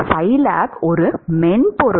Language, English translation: Tamil, Scilab is just a software